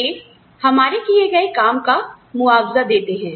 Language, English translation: Hindi, They compensate for the work, we do